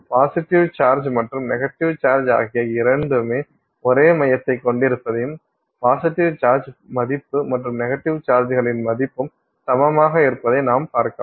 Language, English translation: Tamil, You will find that the two of them, the positive charge and the negative charge have the same center and the value of the positive charge and the value of the negative charge is also equal